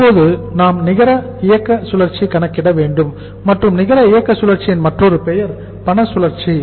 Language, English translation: Tamil, And now we have to calculate the net operating cycle and net operating cycle’s other name is the cash cycle